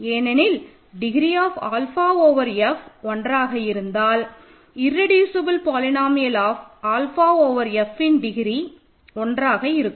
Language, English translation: Tamil, This is because suppose degree of alpha over F is 1, this implies the irreducible polynomial of alpha over F has degree 1